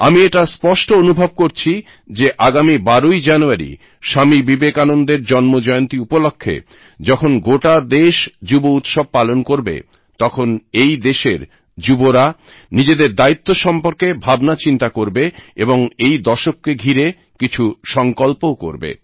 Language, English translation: Bengali, On the birth anniversary of Vivekanand on the 12th of January, on the occasion of National Youth Day, every young person should give a thought to this responsibility, taking on resolve or the other for this decade